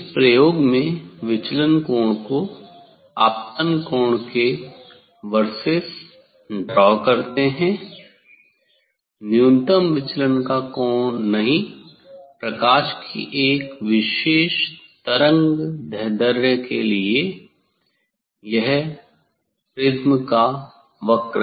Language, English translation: Hindi, this experiment is draw angle of incidence versus angle of deviation; not angle of minimum deviation; this curve of a prism for a particular wavelength of light